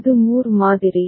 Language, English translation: Tamil, And this was the Moore model